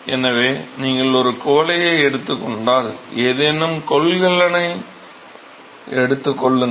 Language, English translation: Tamil, So, if you take a beaker take any container